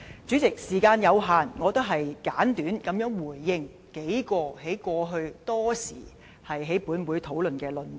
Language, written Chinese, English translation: Cantonese, 主席，時間有限，我簡短回應數項，過去多時在本會討論的論點。, President time is limited so I will just comment briefly on a few oft - repeated arguments heard in this Council